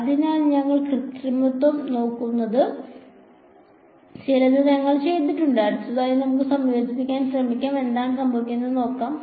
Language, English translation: Malayalam, So, we have done some we were looking manipulation next let us try to integrate and see what happens ok